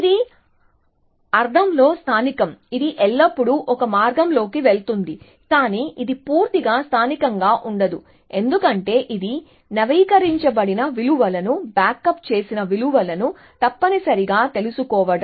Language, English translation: Telugu, This is local in the sense, it is always going down one path, but it is not completely local in the sense are it is keeping updated values, backed up values, for known essentially